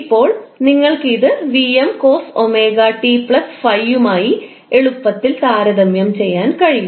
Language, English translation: Malayalam, Now you can easily compare this with VM cos omega T plus 5